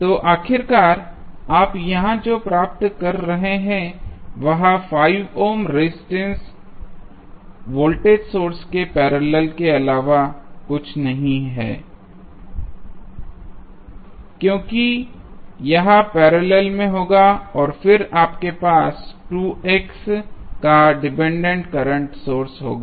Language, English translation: Hindi, So, finally, what you are getting here is nothing but the voltage source in parallel with another 5 ohm resistance because this will be in parallel and then you will have dependent current source of 2Ix